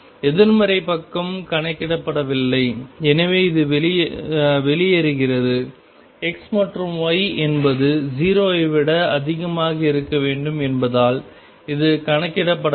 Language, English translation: Tamil, The negative side is not counted, so this is out; this is not counted because x and y are supposed to be greater than 0